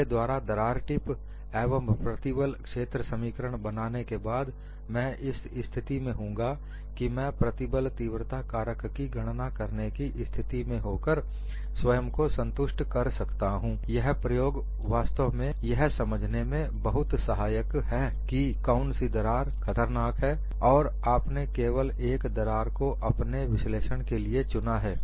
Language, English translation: Hindi, In the next class, after I develop crack tip and stress field equations, you would also be in a position to calculate the stress intensity factor and convince yourself, the experiment was indeed helpful in understanding which crack is more dangerous and why we consider only one crack for all our analysis